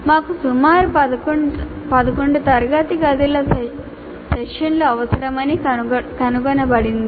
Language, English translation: Telugu, So, it was found that we require, we will require about 11 classroom sessions